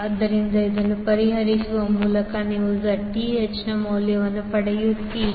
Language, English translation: Kannada, So by solving this you will get the value of Zth